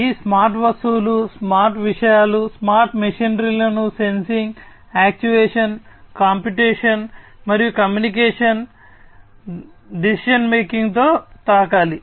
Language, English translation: Telugu, So, these smart objects, the smart things, the smart machinery will be touched with sensing, actuation, computation, communication, decision making and so on